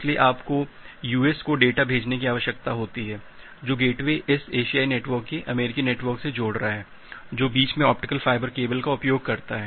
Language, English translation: Hindi, So, you need to send the data to USA so, the gateway which is connecting this Asian network to the US network that uses optical fiber cable in between